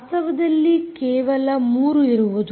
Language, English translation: Kannada, in fact, there only three